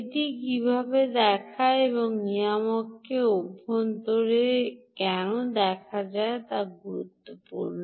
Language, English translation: Bengali, and why is it important to look inside the regulator